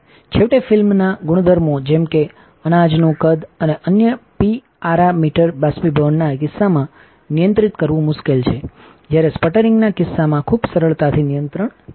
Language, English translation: Gujarati, Finally, the film properties such as grain size and other parameters is difficult to control in case of evaporation, while in the case of sputtering is very easily controlled